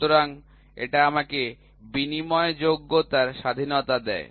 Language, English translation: Bengali, So, this gives me the freedom of interchangeability